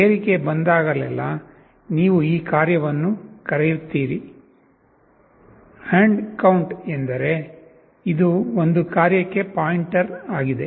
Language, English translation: Kannada, Whenever there is a rise, you call this function; &count means this is a pointer to a function